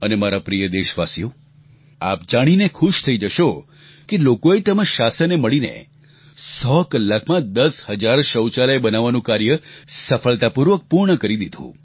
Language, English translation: Gujarati, And my Dear Countrymen, you will be happy to learn that the administration and the people together did construct 10,000 toilets in hundred hours successfully